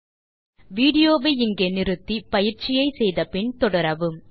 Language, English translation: Tamil, So now, Pause the video here, try out the following exercise and resume the video